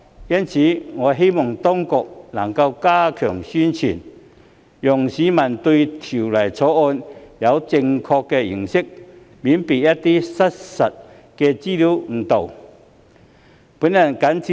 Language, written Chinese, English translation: Cantonese, 因此，我希望當局能加強宣傳，讓市民對《條例草案》有正確的認識，以免被一些失實報道誤導。, Thus I hope that the authorities will step up publicity so that the public can have a correct understanding of the Bill and will not be misled by some false reports